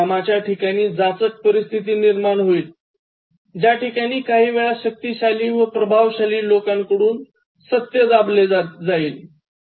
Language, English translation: Marathi, So, there will be oppressive situation in work environment, where sometimes truth is suppressed by the people who are powerful and dominant